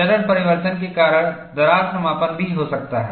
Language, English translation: Hindi, Crack closure can also happen because of phase transformation